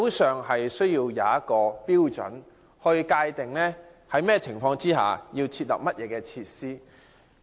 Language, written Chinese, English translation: Cantonese, 需要訂立標準及界定在甚麼情況下應該設立甚麼設施。, It is necessary to set standards and define the conditions for the provision of facilities